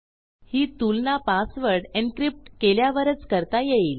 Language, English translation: Marathi, We get to choose this when we encrypt our password